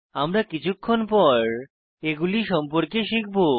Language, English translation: Bengali, We will learn about them in a little while